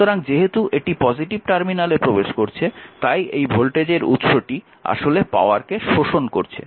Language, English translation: Bengali, So, as it is entering into a positive terminal means this voltage source actually this source actually is absorbing this absorbing power